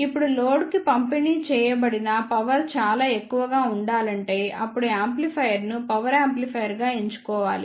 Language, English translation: Telugu, Now, if the power delivered to the load is required to be very high then the amplifier should be selected as power amplifier